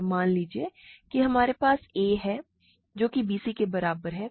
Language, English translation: Hindi, So, suppose we have a is equal to bc